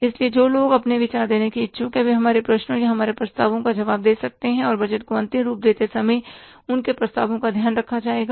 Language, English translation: Hindi, So, people who are interested to give their views, they can respond to our queries or our say proposals and their proposals will be taken care of while finalizing the budget